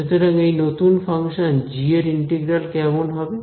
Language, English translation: Bengali, So, how will the integral of the new function g come